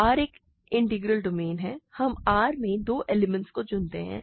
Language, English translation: Hindi, Let R be an integral domain, and let us choose two elements a and b in R